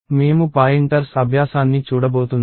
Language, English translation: Telugu, So, I am going to look at pointers exercise